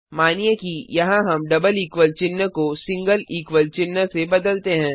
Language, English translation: Hindi, Come back to the program Suppose here we replace the double equal to sign with the single equal to